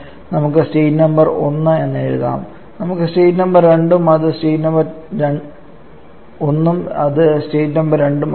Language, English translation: Malayalam, Though we can write that the state number 1 let us be the state 1 and this is state 2